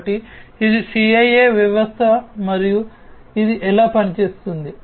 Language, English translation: Telugu, So, this is the CIA system that and this is how it performs